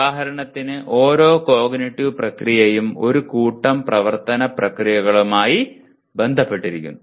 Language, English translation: Malayalam, For example each one of the cognitive process is associated with a set of action verbs